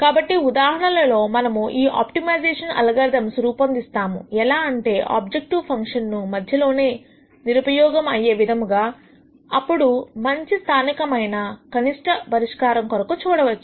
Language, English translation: Telugu, In some cases we might construct these optimization algorithms in such a way that you might actually make your objective function worse in the interim, looking for better solutions than your local optimum solution